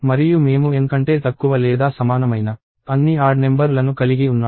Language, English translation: Telugu, And I have all the odd numbers that are less than or equal to N